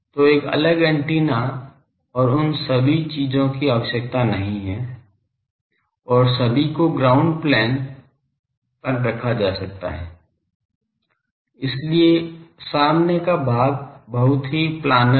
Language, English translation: Hindi, So, there is no need to have a separate antenna and all those things and on a ground plane everyone is put; so, the front part is very planar